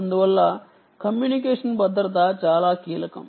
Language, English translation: Telugu, therefore, communication security is indeed critical